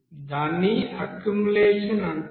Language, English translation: Telugu, So that will be called as accumulation